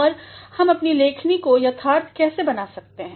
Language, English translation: Hindi, Now, how can we make our writing correct